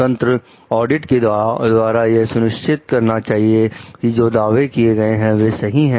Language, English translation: Hindi, Independent auditing to make sure that the claims made are correct